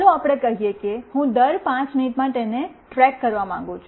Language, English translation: Gujarati, Let us say I want to track it every 5 minutes